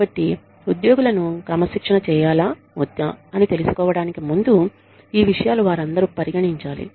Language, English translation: Telugu, So, all those, you know, these things need to be considered, before figuring out, whether to discipline the employees